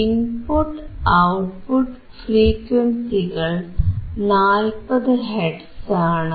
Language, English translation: Malayalam, Frequency of input is 40 hertz; output frequency is 40 hertz